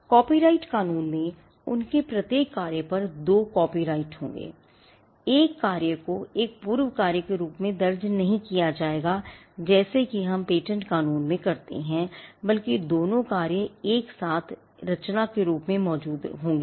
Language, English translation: Hindi, In copyright law there will be two copyrights over each of their work one work will not be recorded as a prior work as we would do in patent law rather both the works will exist as simultaneous creations